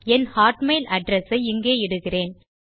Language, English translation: Tamil, I will type my hotmail address here